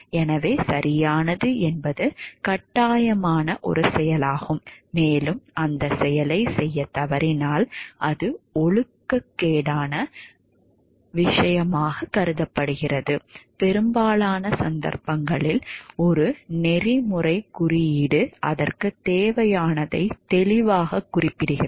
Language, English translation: Tamil, So, right means the one course of action that is obligatory and, failing to do that action is unethical immoral, in most instances a code of ethics specifies what it clearly requires